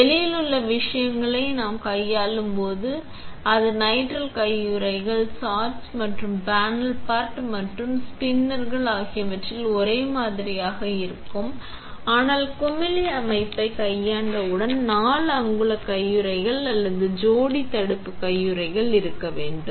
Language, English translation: Tamil, When we handle things on the outside, it is nitrile gloves, the same on the sash and on the panel pot and on the spinners, but as soon as we handle the bubble set itself we need to have 4 inch gloves or pair barrier gloves